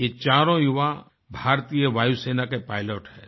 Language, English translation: Hindi, All of them are pilots of the Indian Air Force